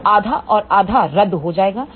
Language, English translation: Hindi, So, half and half will get cancel